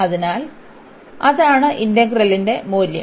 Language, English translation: Malayalam, So, that is the value of the integral